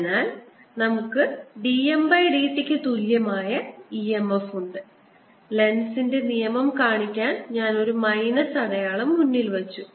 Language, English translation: Malayalam, so what we have seen is that we have e m f, which is equal to d phi, d t, and to show the lenz's law, i put a minus sign in front